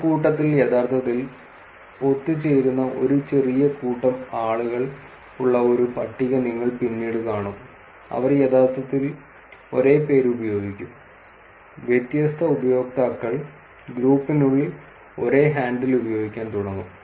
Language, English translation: Malayalam, You will actually see a table later also where there is a small set of people who actually collude that is in a group, they would actually use the same name and different users will start using the same handle within the group